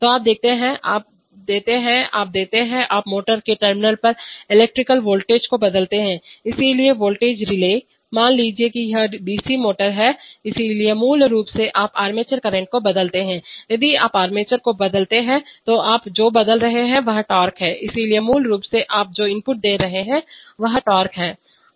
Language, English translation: Hindi, So you give, what you give, you give, you change the electrical voltage at the terminal of the motor, so the voltage relay, suppose it is a DC motor, so basically you change the armature current, if you change the armature current then what you change is torque, so basically the input that you are giving is torque